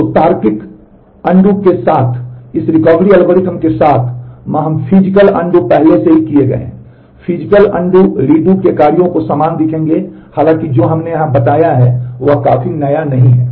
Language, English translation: Hindi, So, ma with this Recovery Algorithm with logical undo will look very similar to what we have already done with the physical undo redo and though that is what we have stated here, there is no nothing significantly new